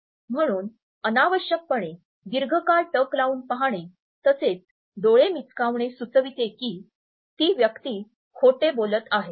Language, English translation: Marathi, So, holding the gaze for an unnecessarily longer period as well as darting eyes both me suggest that the person is lying